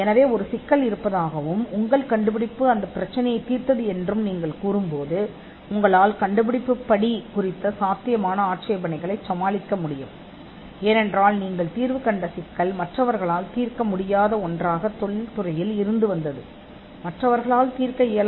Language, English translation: Tamil, So, when you say that there was a problem and your invention solved that problem, you could get over potential objections of inventive step, because the problem that you solved existed in the industry and no one else solved